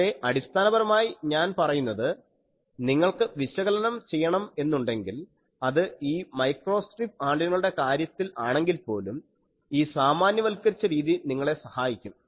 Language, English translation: Malayalam, But basically I say that if you want to do the analysis this generalized method helps you even in these cases of microstrip antennas